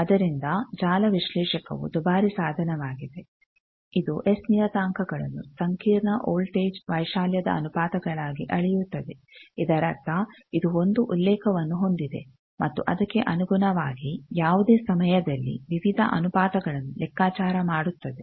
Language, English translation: Kannada, So, network analyzer that is why it is a costly equipment measures S parameters as ratios of complex voltage amplitude that means, it has a reference with respect to that it calculates various ratios any time